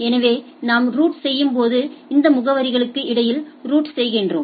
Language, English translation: Tamil, So, the while we route we route between these addresses